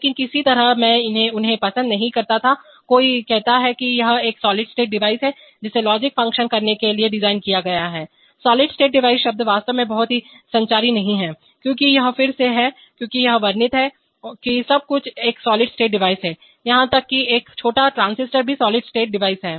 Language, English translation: Hindi, But somehow I did not like them, so somebody says it is a solid state device designed to perform logic functions, solid state device the term is actually not very communicative because it again because it described everything is a solid state device, even a small transistor is also solid state device